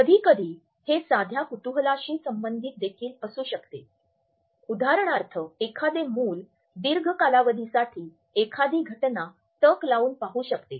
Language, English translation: Marathi, Sometimes it can also be related with simple curiosity for example, a child is staring a phenomena for a long duration